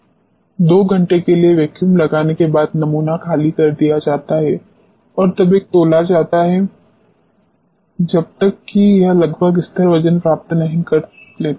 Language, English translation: Hindi, The sample is evacuated by applying vacuum for 2 hours and is weighed until it attains almost a constant weight